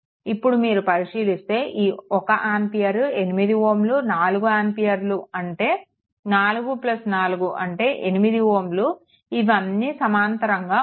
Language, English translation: Telugu, If you look 1 ampere 8 ohm, 4 ampere this 4 plus 4 8 ohm all are in parallel